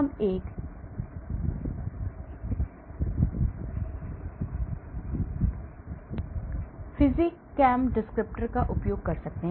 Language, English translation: Hindi, We can use a PhysChem descriptors